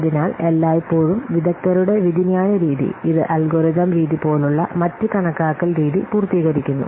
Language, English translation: Malayalam, So, always the expert judgment method, it complements the other estimation methods such as algorithmic method